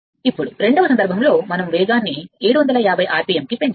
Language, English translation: Telugu, Now, in the second case, we have to raise the speed to 750 rpm